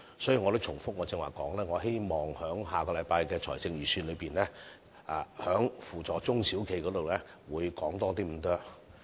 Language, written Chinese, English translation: Cantonese, 所以，正如我剛才所說，希望下星期的財政預算案在扶助中小企方面會多着墨一點。, Therefore as I said earlier I hope that there will be more support to SMEs in the Budget next week